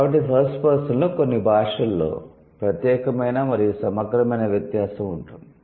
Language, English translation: Telugu, So, in the first person, some languages will have exclusive and inclusive distinction